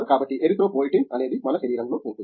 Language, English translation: Telugu, So, Erythropoietin is what we have it our body